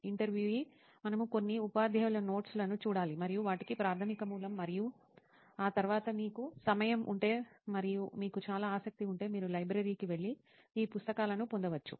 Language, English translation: Telugu, We have to go through some teacher's notes and those are the primary source and after that if you have time and if you are very much interested, you can go to the library and get these books